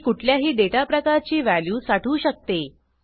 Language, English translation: Marathi, It also holds value of any data type